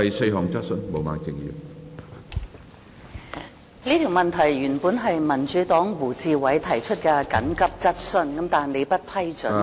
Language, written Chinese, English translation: Cantonese, 主席，民主黨的胡志偉議員原本要求提出這項緊急質詢，但不獲你批准。, President Mr WU Chi - wai of the Democratic Party originally intended to ask this urgent question but you did not approve